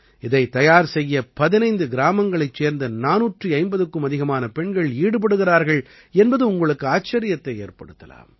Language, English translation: Tamil, You will be surprised to know that more than 450 women from 15 villages are involved in weaving them